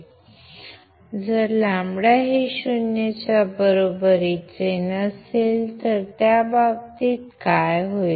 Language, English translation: Marathi, So, if lambda is not equal to 0, in that case, what will happen